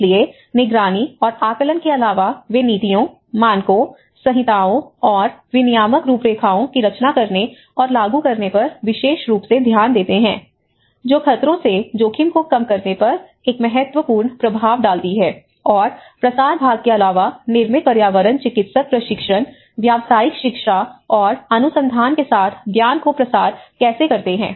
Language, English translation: Hindi, So, apart from this monitoring and assessments, they also are very much concerned with the designing and implementing the policies, standards, codes and the regulatory frameworks which have a crucial influence on reducing the risks from the hazards and apart from the dissemination part how this built environment practitioners, how they disseminate the knowledge with the training and the professional education and the research